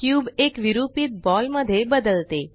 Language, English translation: Marathi, The cube deforms into a distorted ball